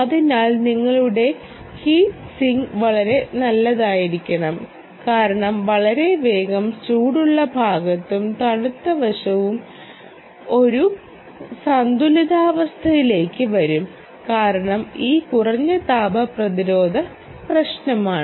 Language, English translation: Malayalam, so you are, heat sinking should be very good because very soon the hot side and the cold side, we will come into an equilibrium because of this lower thermal resistance problem